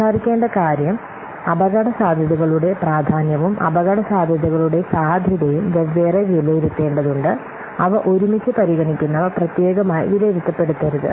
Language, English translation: Malayalam, So the point of speaking is that the importance of the the risk as well as the likelihood of the risks, they need to be separately assessed